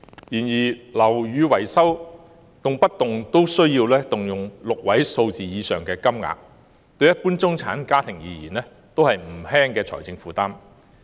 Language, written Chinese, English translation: Cantonese, 然而，樓宇維修動輒需動用6位數字的金額，對一般中產家庭而言亦是不輕的財政負擔。, Nevertheless building repair works customarily cost a six - digit sum of money which is not a light burden on general middle - class families